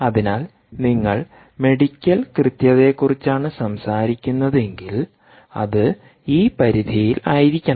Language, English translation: Malayalam, so if you are talking about medical accuracy, it has to be ah, um, ah, um in the range of um